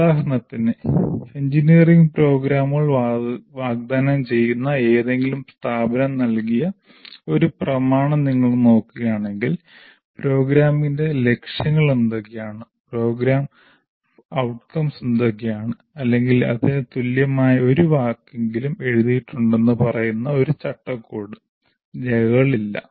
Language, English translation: Malayalam, For example, if you look at any document given by any institution offering engineering programs, there is no framework document saying that what are the objectives of the program, what are the program outcomes or at least any equivalent word for that